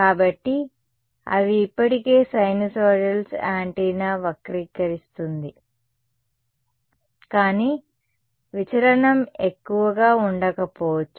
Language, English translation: Telugu, So, they are already sinusoidals the antenna distorts is a little bit, but the deviation may not be much